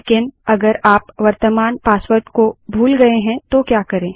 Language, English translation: Hindi, But what if we have forgotten our current password